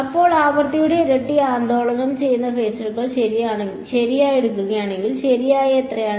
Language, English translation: Malayalam, So, if I take the average of phasors that is oscillating at twice the frequency has how much average